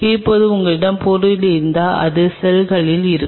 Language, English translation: Tamil, Now if you’re this is stuff on which the cells are